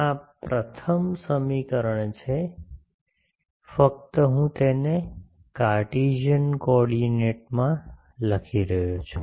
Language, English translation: Gujarati, This is from the first equation, just I am writing it in Cartesian coordinate